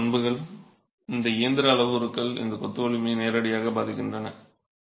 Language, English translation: Tamil, These are characteristics, these are mechanical parameters that directly impact the strength of the masonry